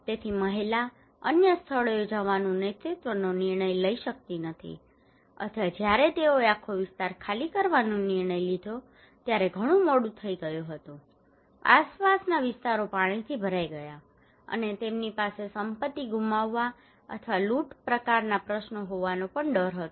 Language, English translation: Gujarati, So the woman cannot take the leadership decision to go to other places or it was sometimes too late when they decided to evacuate entire area, surrounding areas were inundated with water, and they have also the loss fear of losing property or looting kind of questions